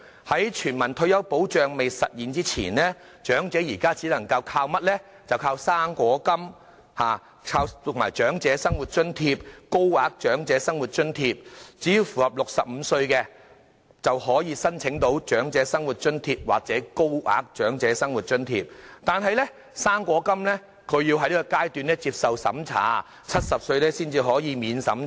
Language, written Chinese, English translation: Cantonese, 在全民退休保障未實施前，長者現時只能依靠"生果金"、長者生活津貼或高額長者生活津貼，年滿65歲者可以申請長者生活津貼或高額長者生活津貼，但"生果金"則要長者接受資產審查，要年滿70歲才可以免資產審查。, Before the implementation of universal retirement protection old people can only rely on the fruit grant Old Age Living Allowance OALA or HOALA . Old people aged 65 or above can apply for OALA or HOALA but they are subject to a means test for the fruit grant before 70 years of age